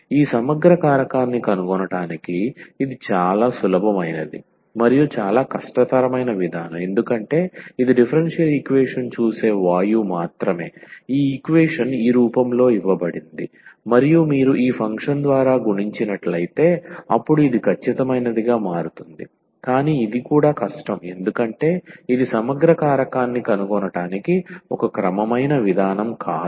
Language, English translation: Telugu, So, this is the most easiest one and also the most toughest approach to find the this integrating factor because it is it is just the gas here looking at the differential equation that, the equation is given in this form and if you multiply by this function then this will become exact, but this is also difficult because it is not a systematic approach to find the integrating factor